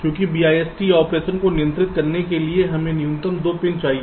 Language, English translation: Hindi, so to control the bist operation we need ah minimum of two pins